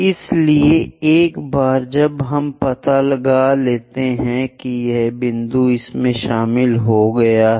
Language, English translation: Hindi, So, once we locate that point join it